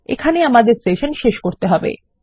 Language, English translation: Bengali, And we need to end our session here